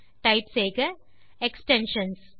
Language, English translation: Tamil, So type extensions